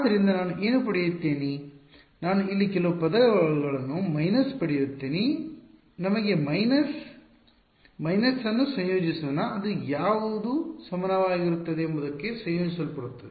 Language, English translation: Kannada, So, what will I get I will get a minus some term over here let us a minus, minus which gets combined into what will that term be is equal to will simply be